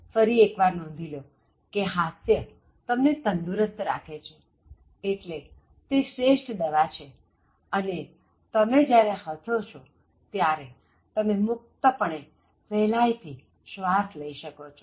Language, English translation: Gujarati, Now, it bears repetition to note that humour keeps you healthy, so like laughter is the best medicine and when you laugh what happens is, you breathe freely and easily